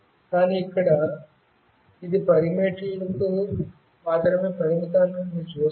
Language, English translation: Telugu, But, here you see that it is limited to 10 meters only